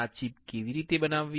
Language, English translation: Gujarati, How to fabricate this chip